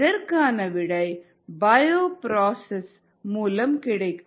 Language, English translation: Tamil, the answer is through something called a bioprocess